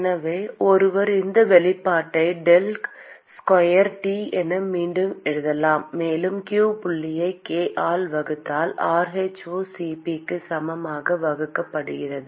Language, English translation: Tamil, So one could rewrite this expression as del square T, plus q dot divided by k equal to rho*Cp divided by k into